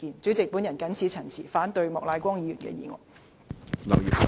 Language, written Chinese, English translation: Cantonese, 主席，我謹此陳辭，反對莫乃光議員的議案。, With these remarks President I oppose Mr Charles Peter MOKs motion